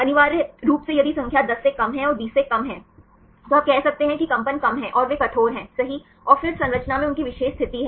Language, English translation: Hindi, Essentially if the number is less than 10 and less than 20, then you can said that the vibration is less and they are rigid right and then they have the particular position in the structure